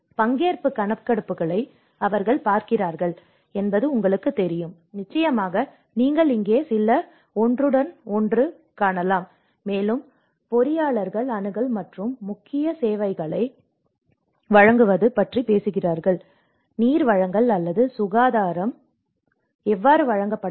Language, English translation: Tamil, And then you know they look at the participatory surveys, of course you can see some overlap here, and the engineers talk about the access and the provision of key vital services, how the water supply or sanitation has to be provided